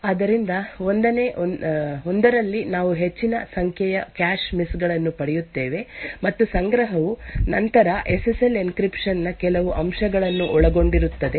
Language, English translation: Kannada, So, in the 1st one we will obtain a large number of cache misses and the cache would then contain some aspects of the SSL encryption